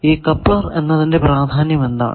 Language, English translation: Malayalam, Now what is importance of coupler